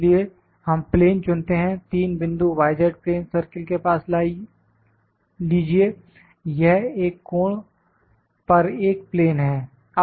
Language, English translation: Hindi, So, we select the plane take 3 points near to the y z plane circle, this is a plane at an angle is a plane at an angle